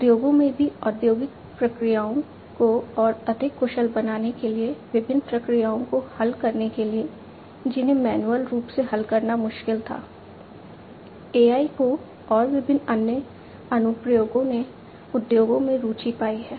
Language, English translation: Hindi, In the industries also for making the industrial processes much more efficient, to solve different problems, which manually was difficult to be solved AI and different other applications have found interest in the industries